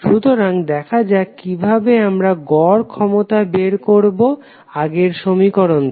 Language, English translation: Bengali, So, let us see how we will calculate the average power power from the previous equation which we derived